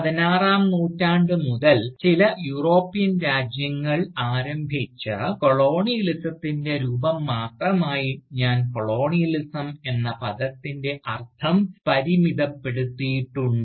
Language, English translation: Malayalam, And, I had limited the meaning of the term Colonialism, to take into account, only that form of Colonialism, which was initiated by certain European countries, since the 16th century